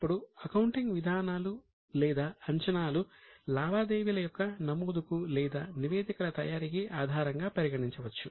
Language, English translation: Telugu, Now the accounting policies or assumptions are the base for making the entries or for preparation of statements